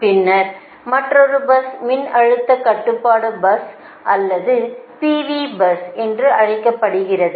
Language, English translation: Tamil, then another bus is called voltage controlled buses or p v bus